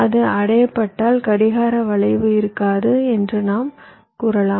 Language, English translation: Tamil, and if it is, if it is achieved, then we can say that there will be no clock skew